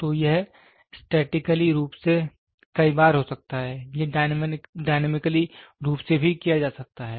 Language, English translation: Hindi, So, it can be times statically, it can also be done dynamically